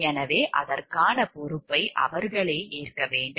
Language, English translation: Tamil, So, they have to own up the responsibility for it